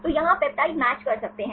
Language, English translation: Hindi, So, here you can do the peptide match